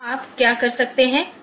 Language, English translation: Hindi, So, what you can do